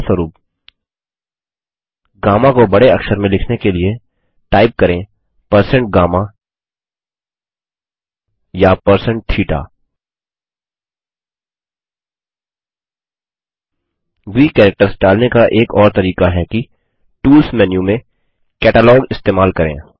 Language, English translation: Hindi, For example to write gamma in upper case, type#160%GAMMA or#160%THETA Another way to enter Greek characters is by using the Catalog from the Tools menu